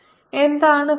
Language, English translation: Malayalam, what is the flux now